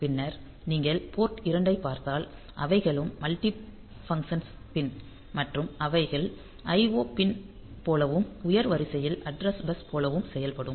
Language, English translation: Tamil, Then if you look into port 2 here also you see that the it is the pins they are multifunctional pin and if they can they will act as IO pin as well as the higher order address bus